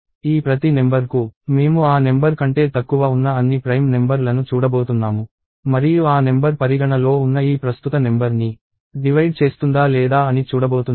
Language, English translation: Telugu, And for each of these numbers, I am going to look at all the prime numbers that are less than that number and see if that number divides into this current number under consideration or not